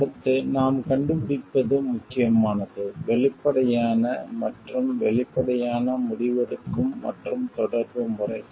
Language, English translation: Tamil, Next what we find is important is open and transparent decision making and communication methods